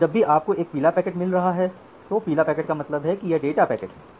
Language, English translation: Hindi, And whenever you are getting a yellow packet, say yellow packet means data it is the lowest priority as we have seen